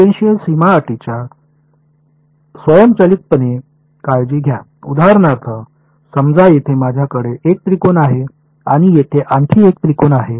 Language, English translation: Marathi, Take automatically take care of tangential boundary conditions for example, now supposing I have 1 triangle over here and another triangle over here